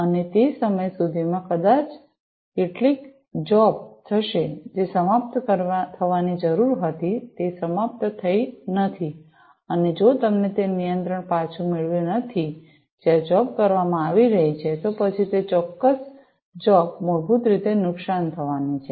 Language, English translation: Gujarati, And, by that time maybe you know some job will be will which was required to be finished is not finished, and if you do not get that control back to that point where the job is being performed, then that particular job is going to be basically damaged, right